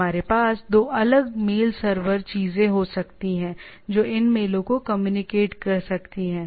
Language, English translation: Hindi, We can have 2 different mail servers things which can communicate these mails